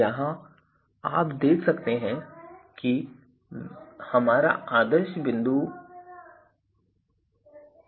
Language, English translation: Hindi, So, here you can see that this is our ideal point